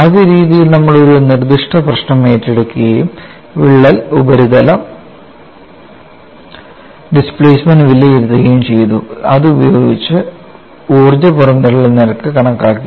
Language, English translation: Malayalam, In the first methodology, we took up a specific problem and evaluated the crack surface displacements, using that energy release rate was calculated